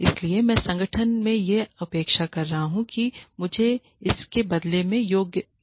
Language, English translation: Hindi, So, I am expecting the organization to give me this in return ok